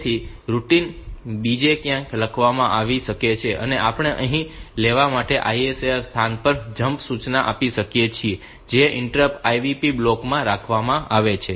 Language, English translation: Gujarati, So, the routine may be written somewhere else and we can have a jump instruction at the ISR location to took here that may be kept in the IVT block the inter